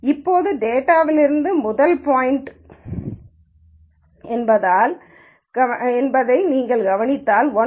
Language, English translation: Tamil, Now, if you notice since the first point from the data itself is 1 1 the distance of 1 1 from 1 1 is 0